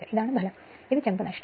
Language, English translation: Malayalam, This is the output and this is the copper loss right